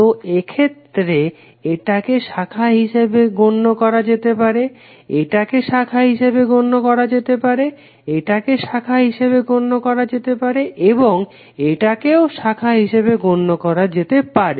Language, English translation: Bengali, So in this case this can be consider as branch, this can be consider as a branch, this can be consider as a branch this can also be consider as a branch and this can also be consider as a branch